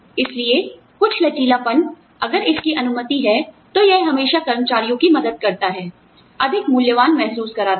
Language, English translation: Hindi, So, some flexibility, if it is allowed, it always helps the employees, feel much more valued